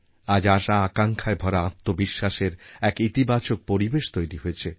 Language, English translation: Bengali, An atmosphere of positivity built on a self confidence filled with hope has pervaded all over